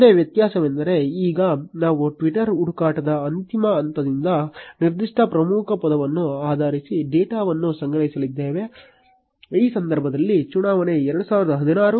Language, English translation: Kannada, The only difference being that now we are going to collect data from twitter search end point based on a specific key word, in this case election 2016